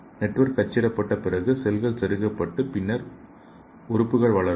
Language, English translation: Tamil, And after network is printed, cells are inserted and network then grows okay